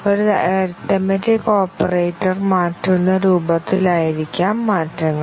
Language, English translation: Malayalam, The changes may be in the form of changing an arithmetic operator